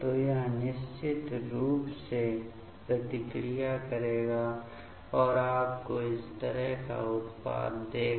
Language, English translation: Hindi, So, it will definitely it will react and give you the product like this ok